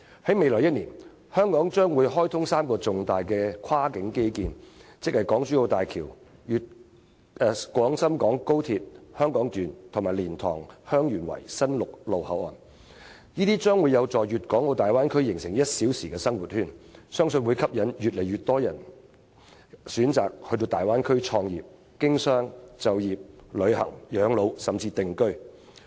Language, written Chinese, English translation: Cantonese, "在未來1年，香港將會開通3個重大的跨境基建，即港珠澳大橋、廣深港高鐵香港段，以及蓮塘/香園圍新陸路口岸，這將有助於大灣區形成 "1 小時生活圈"，相信會吸引越來越人選擇到大灣區創業、經商、就業、旅行、養老甚至定居。, In the coming year three major cross - boundary infrastructure facilities namely the Hong Kong - Zhuhai - Macao Bridge the Hong Kong Section of the Guangzhou - Shenzhen - Hong Kong Express Rail Link and the LiantangHeung Yuen Wai Boundary Control Point which is a new land boundary crossing will be commissioned in Hong Kong . This will be conducive to developing the Bay Area into a one - hour living circle which I believe will entice more and more people to choose to start their own businesses do business work travel spend their twilight years or even settle in the Bay Area